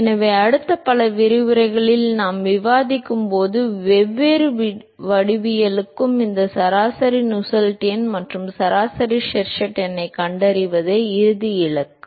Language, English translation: Tamil, So, for all the different geometries that we will discuss in the next several lectures the ultimate goal is to find out this average Nusselt number and average Sherwood number